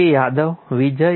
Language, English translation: Gujarati, Yadav, Vijay, A